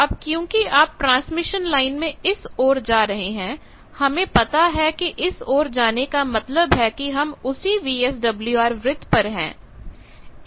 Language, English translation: Hindi, Now here since you are moving along transmission line, we know moving along transmission line means we are on the same VSWR circle